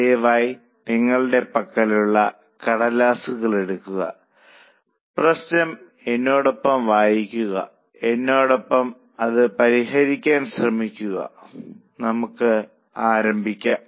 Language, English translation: Malayalam, Please take the sheet which you have, read the problem with me and try to solve it along with me